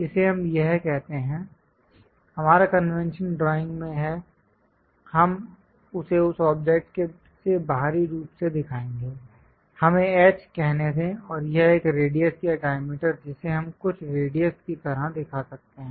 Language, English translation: Hindi, Let us call this one this; our convention is in drawing we will show it exterior to that object, let us call H and this one radius or diameter we can show some radius